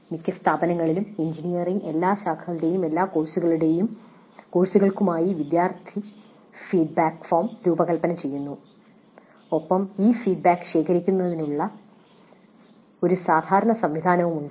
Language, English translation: Malayalam, Most institutions design one student feedback form for all the courses of all branches of engineering and have a standard mechanism of collecting this feedback